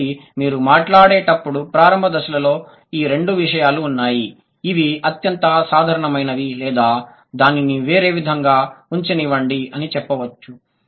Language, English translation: Telugu, So, initial stages, when you talk about, so there are two things, the most common ones or the, or you can say, let me put it in a different way